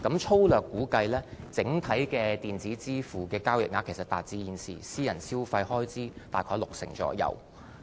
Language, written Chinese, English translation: Cantonese, 粗略估計，整體的電子支付交易額其實達致現時私人消費開支約六成。, It is roughly estimated that the volume of transactions through electronic payment now accounts for about 60 % of the total private consumption expenditure